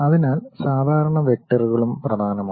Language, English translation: Malayalam, So, normal vectors are also important